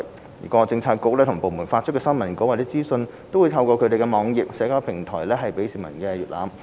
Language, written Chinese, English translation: Cantonese, 政府各政策局及部門發出的新聞稿或資訊均透過其網頁及社交平台提供予市民瀏覽。, Government bureaux and departments put their press releases and information on their web pages and social platforms for browsing by members of the public